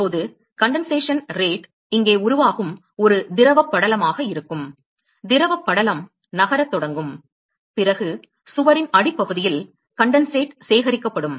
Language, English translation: Tamil, Now the condensation rate will be such that that there will be a film which is form here a liquid film which is form here and the liquid film will start moving and then the condensate is the collected at the bottom of the wall ok